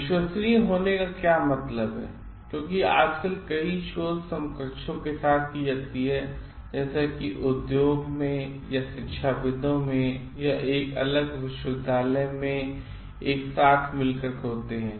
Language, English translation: Hindi, What it means to be trustworthiness because in nowadays many research are in collaboration with the other like counter parts, either in industry or in academics or in a like different university